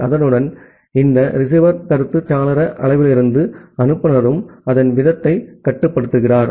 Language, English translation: Tamil, And with that, from this receiver feedback window size, the sender also control its rate